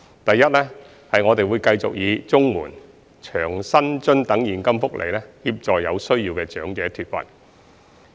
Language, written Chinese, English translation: Cantonese, 第一，我們會繼續以綜援、長者生活津貼等現金福利，協助有需要的長者脫貧。, Firstly we will continue to lift needy elderly out of poverty by providing cash welfare including CSSA and the Old Age Living Allowance